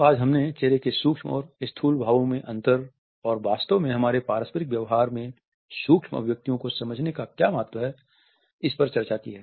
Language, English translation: Hindi, So, today we have discussed the difference between micro and macro facial expressions and what exactly is the significance of understanding micro expressions in our interpersonal behavior